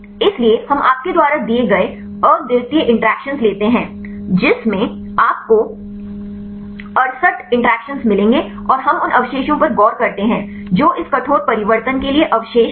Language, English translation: Hindi, So, we take the unique interactions you will get 68 interactions and we look into the residues which residues are mutated for this drastic change